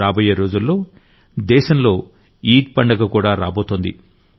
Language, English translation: Telugu, In the coming days, we will have the festival of Eid in the country